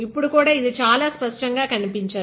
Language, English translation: Telugu, Even now it is not very clearly visible